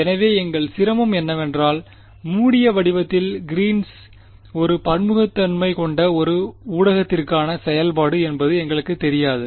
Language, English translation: Tamil, So, our difficulty is we do not know in closed form Green’s function for a heterogeneous medium that is our problem